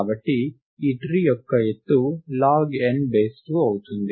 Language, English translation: Telugu, Therefore, the height of this tree is log n to the base 2